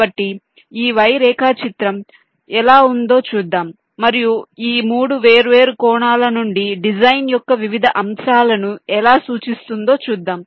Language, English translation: Telugu, so let us see i am a how this y diagram looks like and how it can represent the various aspects of the design from this three different angles